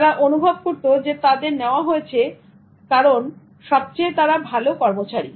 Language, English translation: Bengali, They felt that they are rather selected because they are the best workers